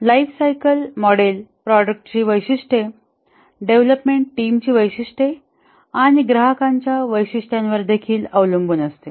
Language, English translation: Marathi, The lifecycle model to be used depends on both the characteristics of the product, the characteristics of the development team and also the characteristics of the customer